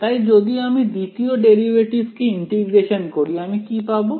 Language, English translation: Bengali, So, if I integrate the second derivative what do I get